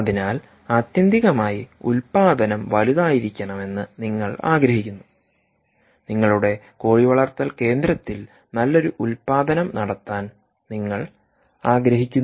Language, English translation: Malayalam, so, ultimately, you want production to be larger, you want to have a good production of your poultry system, ah, uh, uh